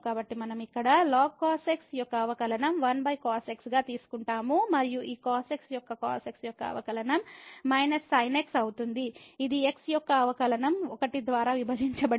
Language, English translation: Telugu, So, we will take the derivative here of ln cos x which will be 1 over and this the derivative of will be minus divided by the derivative of 1 which is 1